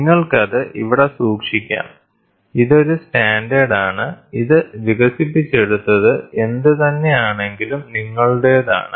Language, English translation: Malayalam, So, you can keep it here, this is a standard, and this is your whatever it is developed